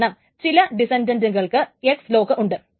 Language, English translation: Malayalam, So, at least one descendant has an X lock